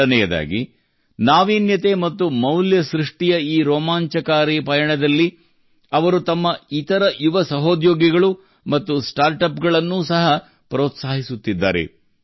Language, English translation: Kannada, Secondly, in this exciting journey of innovation and value creation, they are also encouraging their other young colleagues and startups